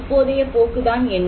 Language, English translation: Tamil, So, what is the trend now